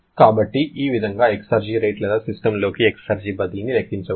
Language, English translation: Telugu, So, this way exergy rate or transfer of exergy into system can be calculated